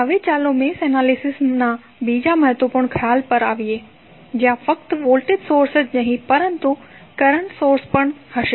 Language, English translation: Gujarati, Now, let us come to another important concept of mesh analysis where you have the source is not simply of voltage source here source is the current source